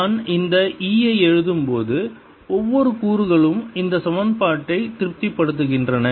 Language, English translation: Tamil, when i am writing this e, that means each component satisfies this equation